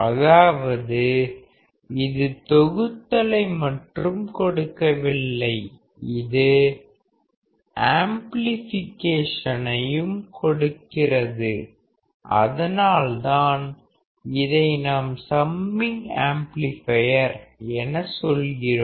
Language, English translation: Tamil, That means, it is not only providing the summation; it is also providing the amplification, and that is why; what we do say is this is a summing amplifier